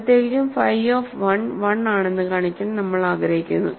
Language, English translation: Malayalam, So, in particular we want to now show that phi of 1 is 1